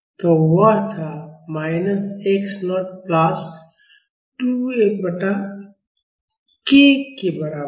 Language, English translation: Hindi, So, that was, is equal to minus x naught plus 2 F by k